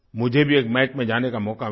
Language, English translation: Hindi, I also got an opportunity to go and watch a match